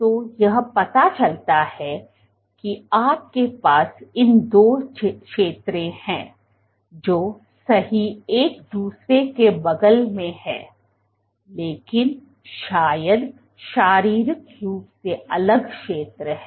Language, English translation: Hindi, So, this suggests that you have these two zones which are right next to each other, but probably they are physically distinct zones